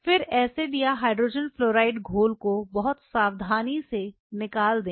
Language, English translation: Hindi, Then drain the acid or the hydrogen fluoride solution very carefully very carefully